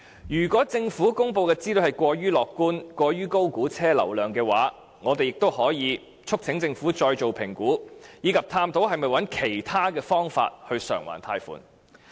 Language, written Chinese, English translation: Cantonese, 如果政府公布的資料過於樂觀及過於高估車輛流量的話，我們也可以促請政府再作評估，以及探討是否找其他方法償還貸款。, If the information and materials released by the Government are too optimistic and the vehicular flow volume is over - estimated we can also urge the Government to do the estimation afresh and explore whether we are to find other ways to repay the loans